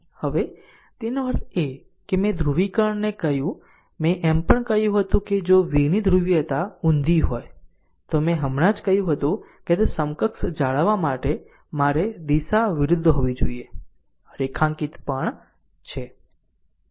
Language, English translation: Gujarati, Now; that means, if] that polarity also I told you this polarity also I told you that if the polarity of v is reverse, the orientation i must be reverse to maintain equivalent that I just told you, the underlined also right